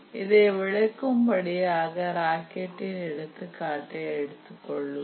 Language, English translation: Tamil, Just to give an example, to make this point clear, we will take the example of a rocket